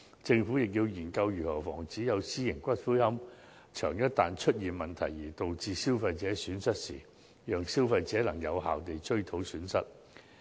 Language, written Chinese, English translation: Cantonese, 政府亦要研究，一旦出現私營龕場結業而對消費者造成損失時，如何讓消費者有效追討損失。, The Government should also consider how consumers can effectively recover losses when private columbaria cease operation